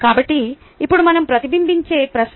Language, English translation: Telugu, so now the question is what we reflect on